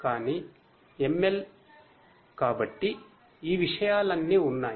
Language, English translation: Telugu, But ML, you know so all these things have been there